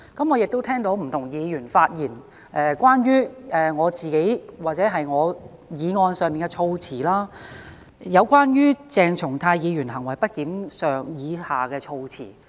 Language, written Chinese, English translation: Cantonese, 我亦聽到不同議員的發言，關乎我的議案內有關鄭松泰議員行為不檢的措辭。, I have heard what different Members said about the wording of censuring Dr CHENG Chung - tai for misbehaviour in my motion